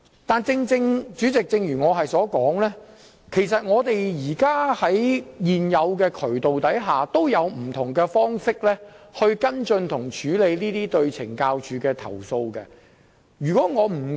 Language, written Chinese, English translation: Cantonese, 但是，主席，正如我曾指出，在現有渠道下，其實已有不同方式可跟進和處理這些針對懲教署的投訴。, However President as I have already pointed out different ways are in fact available under the existing channels for us to follow up and handle such complaints against CSD